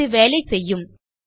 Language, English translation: Tamil, This is going to work